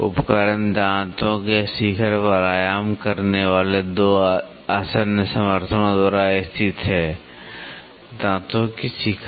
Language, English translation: Hindi, The instrument is located by 2 adjacent supports resting on the crest of the teeth; crest of the teeth